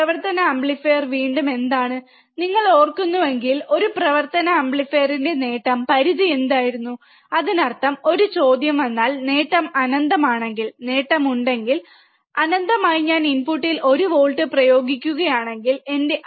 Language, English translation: Malayalam, What is the again of the operational amplifier, what was that if you remember, the gain of an operational amplifier was in finite; that means, that if then a question comes that, if the gain is infinite, if the gain is infinite then if I apply 1 volts at the input, if I apply one volt at the input, then my output should be infinite voltages, right isn't it